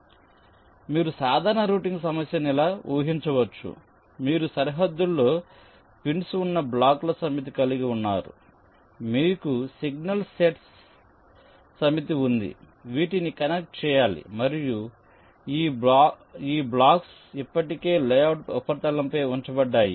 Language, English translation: Telugu, ok, so the general routing problem you can visualize like this: you have a set of blocks with pins on the boundaries, you have a set of signal nets which need to be connected and these blocks are already placed locations of the blocks on the layout surface